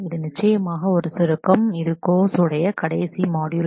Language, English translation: Tamil, This is for course summarization this is the last module of the course